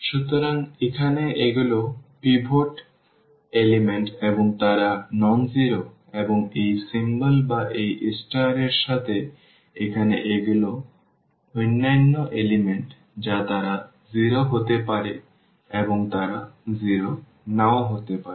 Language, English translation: Bengali, So, here these are the pivot elements and they are nonzero and with this symbol or this star here these are the other elements they may be 0 and they may not be 0